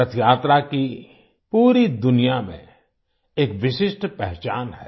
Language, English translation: Hindi, Rath Yatra bears a unique identity through out the world